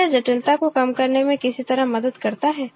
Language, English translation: Hindi, Does it help in any way to reduce the complexity